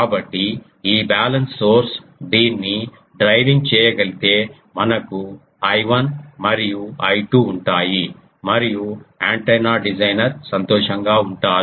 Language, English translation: Telugu, So, if we can make this balance source is driving this then we have I 1 and I 2 and the antenna designer is happy